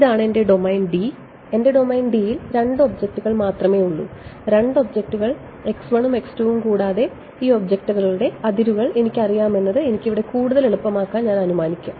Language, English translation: Malayalam, This is my domain D; my domain D has only two objects ok, two objects x 1 and x 2 and further what I am assuming to make my life easier that I know the boundaries of these objects ok